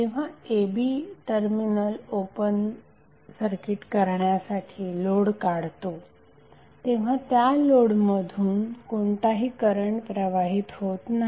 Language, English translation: Marathi, Now when the terminals a b are open circuited by removing the load, no current will flow through the load